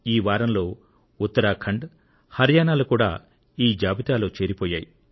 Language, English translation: Telugu, Uttarakhand and Haryana have also been declared ODF, this week